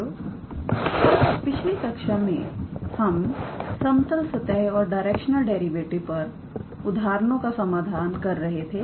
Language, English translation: Hindi, Hello students, so, in the last class we were solving some examples based on level surfaces and directional derivative